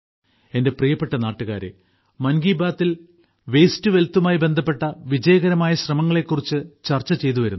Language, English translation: Malayalam, My dear countrymen, in 'Mann Ki Baat' we have been discussing the successful efforts related to 'waste to wealth'